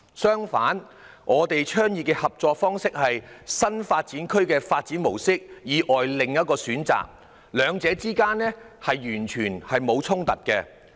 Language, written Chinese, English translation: Cantonese, 相反，我們倡議的合作方式，是新發展區的發展模式以外的另一選擇，兩者之間完全沒有衝突。, On the contrary the partnership approach advocated by us serves as another option in addition to the development approach for new development areas . There is no conflict between the two at all . However we should be realistic